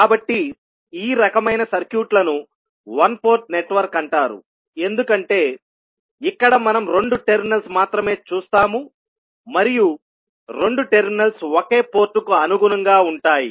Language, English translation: Telugu, So, these kind of circuits are called as a one port network because here we see only two terminals and two terminals will correspond to one single port